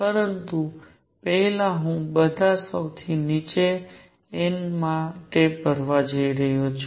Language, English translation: Gujarati, But first I am going to fill for all these lowest n